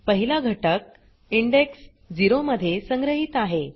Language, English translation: Marathi, The first element is stored at index 0